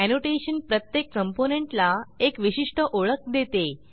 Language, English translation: Marathi, Annotation gives unique identification to each component